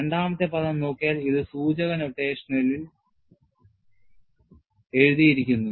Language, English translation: Malayalam, And if you look at the second term, this is written in indicial notation